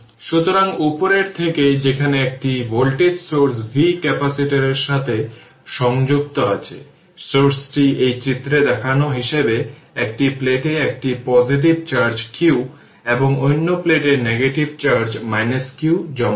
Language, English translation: Bengali, So, from the above explanation we say that where a voltage source v is connected to the capacitor, the source deposit a positive charge q on one plate and the negative charge minus q on the other plate as shown in this figure